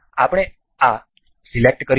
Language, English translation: Gujarati, We will select this